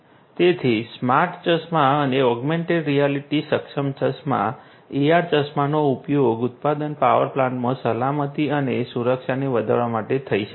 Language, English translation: Gujarati, So, smart glasses and augmented reality enabled glasses AR glasses could be used to improve the safety and security in a manufacturing power plant